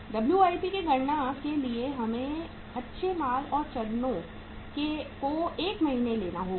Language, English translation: Hindi, For calculating the WIP we have to take the raw material and stages 1 month